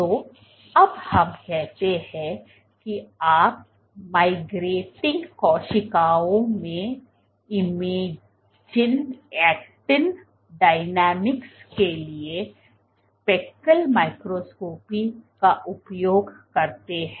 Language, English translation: Hindi, So, now let us say you use speckle microscopy to image actin dynamics in migrating cells